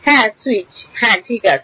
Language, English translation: Bengali, Switching yeah switches yeah ok